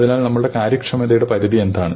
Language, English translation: Malayalam, So, what is the limit of our efficiency